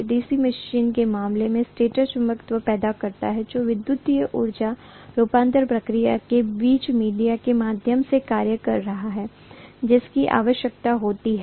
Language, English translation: Hindi, The stator in the case of DC machine produces the magnetism that is required which is acting like a via media between electromechanical energy conversion process, right